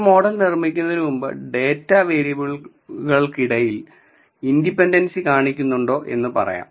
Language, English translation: Malayalam, Before we go on building a model let us say if our data exhibits some interdependency between the variables